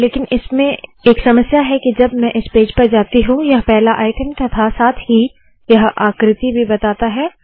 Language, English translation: Hindi, But it has a small problem in that when I go to this page it shows the first item and also this figure